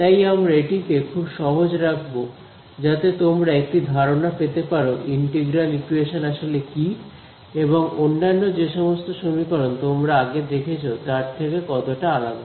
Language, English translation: Bengali, So, we will keep it very very simple to give you an idea of what exactly is an integral equation and how is it different from any other kind of equation you have seen so far right